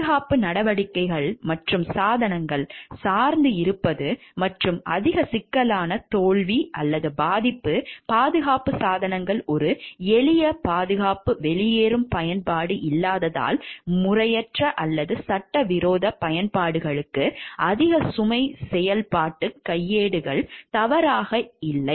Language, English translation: Tamil, Safety measures and devices reliance and overly complex failure prone safety devices lack of a simple safety exit use used inappropriately or for illegal applications overloaded operations manuals not ready